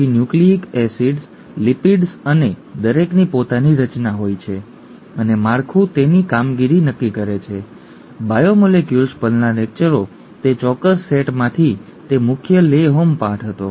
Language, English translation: Gujarati, Then nucleic acids, lipids and each one has their own structure and the structure determines its function and so on and so forth; that was the major take home lesson from that particular set of lectures on biomolecules